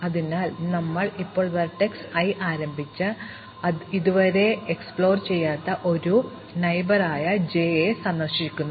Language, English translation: Malayalam, So, we start from vertex i and visit the first neighbour j from i which is not yet explored